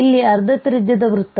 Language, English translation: Kannada, So, now the circle of radius half